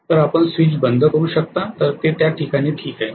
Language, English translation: Marathi, So you can close the switch that is fine at that point